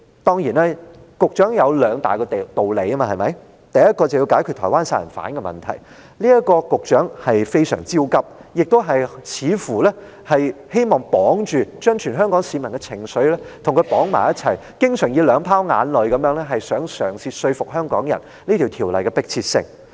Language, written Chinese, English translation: Cantonese, 當然，局長有他兩大道理，第一就是說要解決台灣殺人案問題，局長對此相當焦急，似乎亦希望把全香港市民的情緒與它綁在一起，經常想以兩泡眼淚嘗試說服香港人《條例》修訂的迫切性。, Of course the Secretary has his two main reasons the first being the need to solve the Taiwan homicide case which he is rather anxious about . It seems that he also hopes to put all the people of Hong Kong in the same mood so he constantly tries to use tears to convince them of the urgency of the amendment